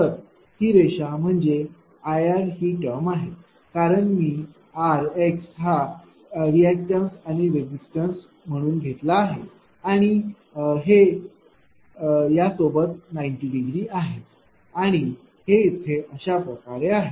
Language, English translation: Marathi, So, this term is will be your ah I r, because I have taken small r, small x resistance reactants I r and this is 90 degree with this right, and this is will be just ah somewhere here it is right